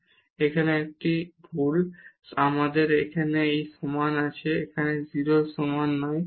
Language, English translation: Bengali, So, this is a mistake here we have we have this equal to here not this is equal to 0 0